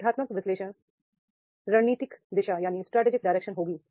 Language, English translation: Hindi, Organizational analysis will be the strategic direction